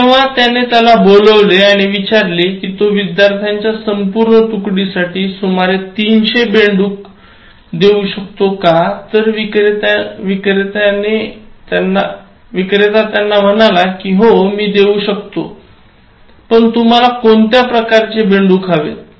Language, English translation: Marathi, So, when he called him up and asked him, whether he can give him some 300 frogs for the entire batch of students, so the vendor told him that, yeah, I can give but what kind of frogs you want